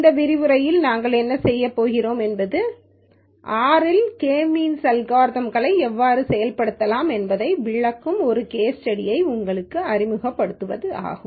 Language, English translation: Tamil, In this lecture, what we are going to do is to introduce you to a case study which we use as a means to explain how K means algorithm can be implemented in R